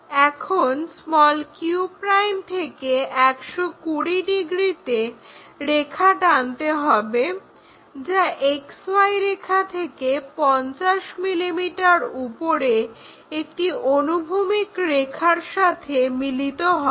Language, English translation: Bengali, Now, from point q' 120 degrees to XY such that it meets a horizontal line at 50 mm above XY line